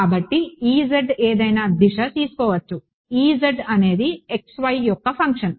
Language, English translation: Telugu, So, E z can take E z is the function of x y